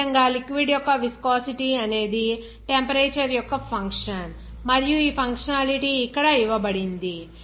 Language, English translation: Telugu, Similarly, viscosity of the liquid, it is a function of temperature and this functionality given here